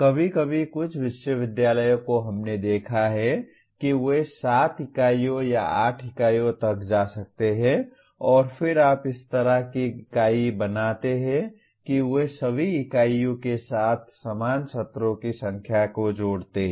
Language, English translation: Hindi, Sometimes some universities we have seen they may even go up to 7 units or 8 units and then you unitize like that they associate the same number of classroom sessions with all units